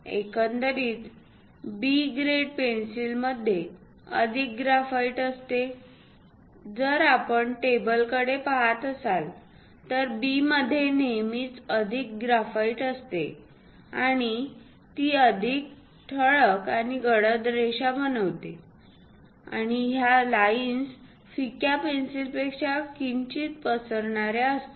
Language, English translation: Marathi, Over all B grade pencils contains more graphite; if we are looking at the table, B always contains more graphite and make a bolder and darker lines, and these lines are little smudgier than light pencil